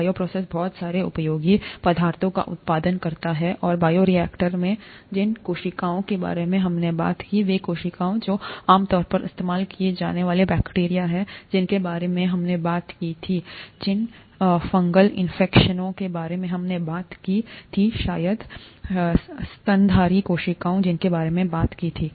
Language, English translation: Hindi, The bioprocess produces a lot of useful substances, and, in the bioreactor, the cells that we talked about, the cells that are used typically the bacteria that we talked about, the fungal cells that we talked about, maybe mammalian cells that we talked about, right